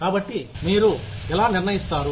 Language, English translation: Telugu, So, how will you decide